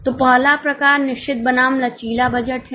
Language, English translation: Hindi, So, the first type is fixed versus flexible budget